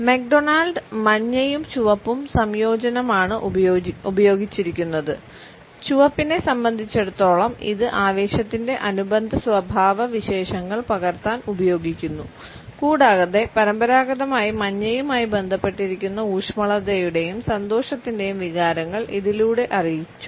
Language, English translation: Malayalam, McDonald has used yellow and red combination to capture the associated traits of excitement as far as red is concerned, and they conveyed feelings of warmth and happiness which are conventionally associated with yellow